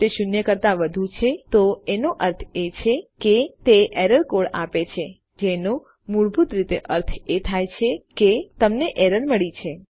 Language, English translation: Gujarati, If its more than zero it means that its giving an error code which basically means that you have an error